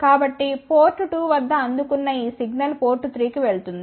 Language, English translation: Telugu, So, this signal received at port 2 will go to port 3